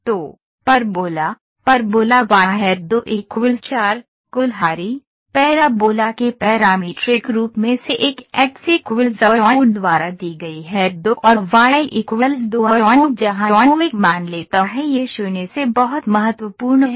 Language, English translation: Hindi, So, Parabola, parabola is y square equal to 4 a x, one of the parametric form of the parabola is given by x equal to a u square and y equal to 2 a u where u takes a value this is very important 0 to infinity